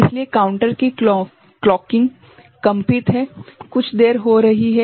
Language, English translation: Hindi, So, that the clocking of the counter is staggered is delayed by some amount